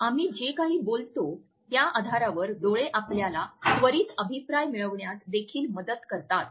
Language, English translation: Marathi, Eyes also help us to get the immediate feedback on the basis of whatever we are saying